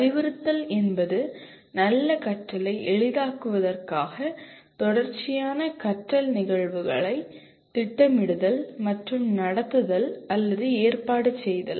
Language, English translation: Tamil, And instruction is planning and conducting or arranging a series of learning events to facilitate good learning